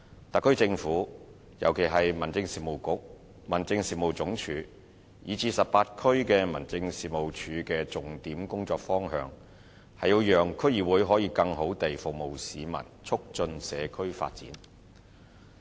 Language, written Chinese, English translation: Cantonese, 特區政府，尤其是民政事務局、民政事務總署及18區民政事務處的重點工作方向，是讓區議會可以更好地服務市民和促進社區發展。, The key work direction of the SAR Government especially the Home Affairs Bureau the Home Affairs Department HAD and the District Office DO in the 18 districts is to enable DCs to better serve members of the public and promote community development